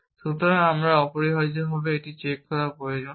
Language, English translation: Bengali, So, we need this check essentially